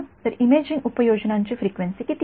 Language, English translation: Marathi, So, what is the frequency range for imaging applications